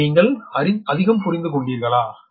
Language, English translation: Tamil, this much you have understood